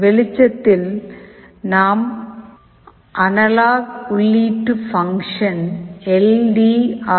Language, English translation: Tamil, In the light we are using the analog input function ldr